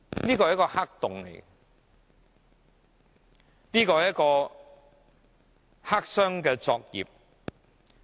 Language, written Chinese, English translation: Cantonese, 這是一個黑洞，是黑箱作業。, There is a black hole here . This is clandestine operation